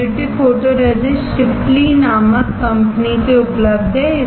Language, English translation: Hindi, Positive photoresist is available from a company named Shipley